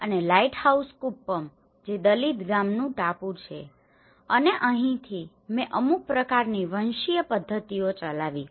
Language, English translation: Gujarati, And the lighthouse Kuppam which is a Dalit village island and this is where I have conducted some kind of ethnographic methods